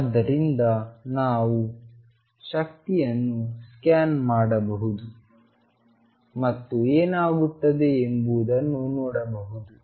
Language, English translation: Kannada, So, we can scan over the energy and see what happens